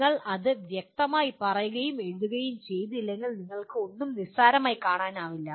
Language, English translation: Malayalam, And unless you articulate and write it down you cannot take anything for granted